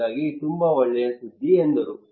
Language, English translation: Kannada, So he said okay very good news